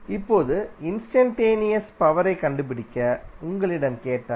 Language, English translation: Tamil, Now, if you are asked to find the instantaneous power